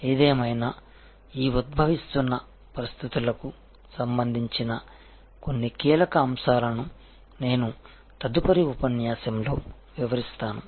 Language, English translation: Telugu, However, I will take up some key issues of these emerging situations in the next lecture